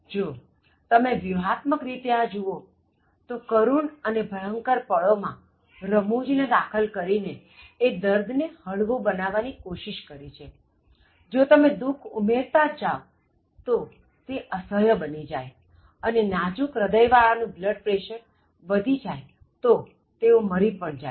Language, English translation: Gujarati, If you look at it very strategically, humour is mixed at horrifying and tragic moments in place like this to make the pain bearable if you keep on adding to the pain, so it becomes totally unbearable and the people with light heart may become heart broken and then they may even die of increased blood pressure and all that